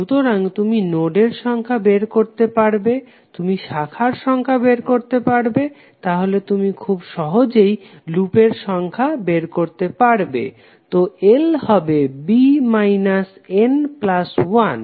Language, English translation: Bengali, So you know you can find out the numbers of nodes, you can find out the number of branches, so you can easily find out what would be the numbers of loops, so l would be nothing but b minus n plus one